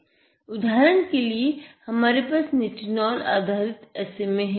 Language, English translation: Hindi, This is a nitinol based SMA